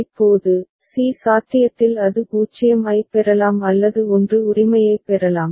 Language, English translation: Tamil, Now, at c possibility is that it can get a 0 or it can get a 1 right